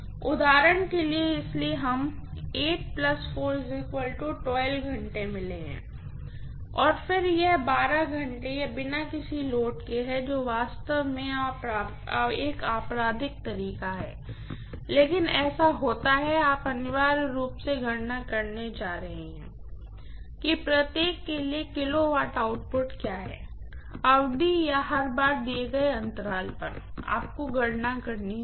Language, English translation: Hindi, For example, so we have got only 8 plus 4, 12 hours and then another 12 hours it is on no load which is actually a criminal ways, but it is happens that way you are going to essentially calculate what is the kilowatt output for every duration or every time interval given, you have to calculate